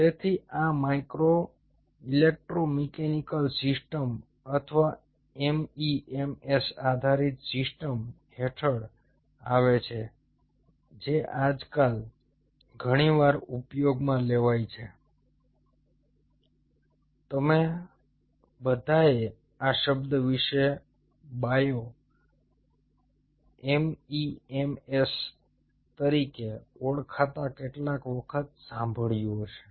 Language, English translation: Gujarati, so this falls under micro electromechanical systems or mems based systems, which are very frequently nowadays used you all must have heard about this word at some point of other called bio mems